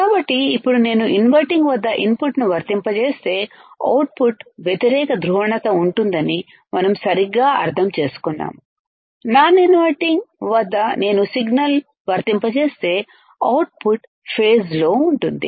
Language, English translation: Telugu, So, now, we understand right that if I apply input at inverting, output will be out of phase; if I apply signal at non inverting, output will be in phase